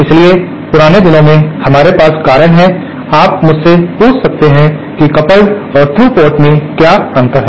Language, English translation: Hindi, So, in olden days the reason we have, you might ask me what is the difference between the coupled and the through port